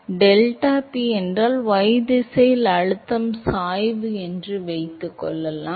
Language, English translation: Tamil, So, suppose, the suppose if deltaP is the pressure gradient in the y direction